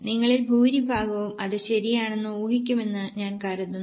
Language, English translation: Malayalam, I think most of you are guessing it correct